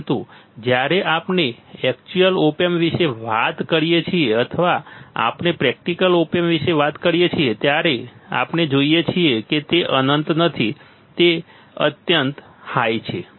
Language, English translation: Gujarati, But when we talk about real op amp or we talk about practical op amp, then we see that it is not infinite, it is extremely high, it is not infinite it is extremely high, it is not infinite it is extremely high